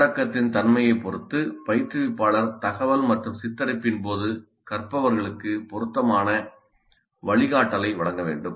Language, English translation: Tamil, Depending upon the nature of the content instructor must provide appropriate guidance to the learners during information and portrayal